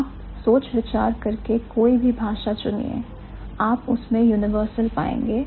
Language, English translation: Hindi, You pick and choose any language, you are going to find out a universal